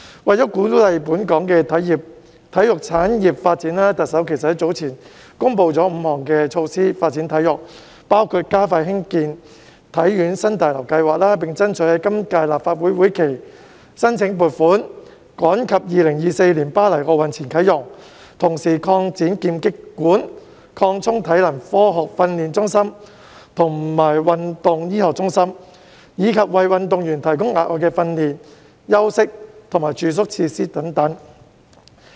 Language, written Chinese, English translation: Cantonese, 為了鼓勵本港的體育產業發展，特首早前公布了5項措施發展體育，包括加快興建香港體育學院新大樓計劃，並爭取在今屆立法會會期申請撥款，以便趕及在2024年巴黎奧運前啟用，同時擴展劍擊館、擴充體能科學訓練中心及運動醫學中心，以及為運動員提供額外的訓練、休息及住宿設施等。, In order to encourage the development of sports industry in Hong Kong the Chief Executive has earlier on announced five measures for sports development including accelerating the construction of the new building of the Hong Kong Sports Institute and seeking funding approval in the current legislative session so that it can be opened in time for the Paris 2024 Olympic Games; expanding the Fencing Hall the Scientific Conditioning Centre and the Sports Medicine Centre; and providing athletes with additional facilities for training taking rest and accommodation etc